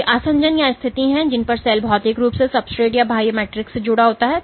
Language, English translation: Hindi, So, these are the adhesions or the positions at which the cell is physically connected to the substrate or the extracellular matrix